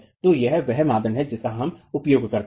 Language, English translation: Hindi, So this is the criterion that we use